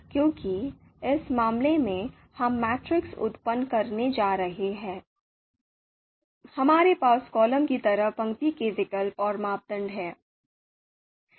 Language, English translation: Hindi, So in this case because this is a matrix that we are going to generate, it is between alternatives in the row side row dimension and the criteria on the column side